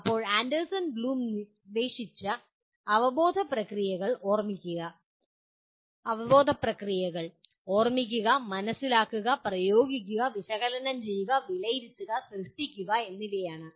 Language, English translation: Malayalam, Now, the cognitive processes that we have as proposed by Anderson Bloom are Remember, Understand, Apply, Analyze, Evaluate, and Create